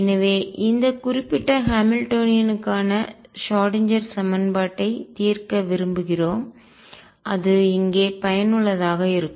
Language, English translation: Tamil, So, we want to solve the Schrödinger equation for this particular Hamiltonian and where is it useful